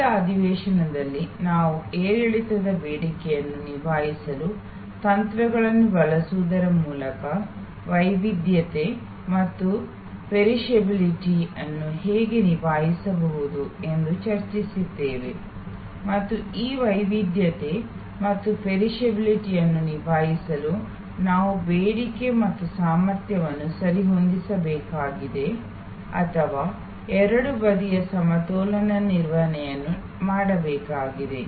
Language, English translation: Kannada, And I think in the last session we have discussed that how we can tackle heterogeneity and perishability by using strategies to cope with fluctuating demand and we need to adjust demand and capacity or rather both side balancing management to tackle this heterogeneity and perishability